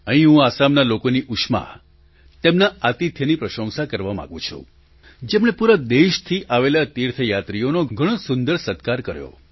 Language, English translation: Gujarati, Here I would like to appreciate the warmth and hospitality of the people of Assam, who acted as wonderful hosts for pilgrims from all over the country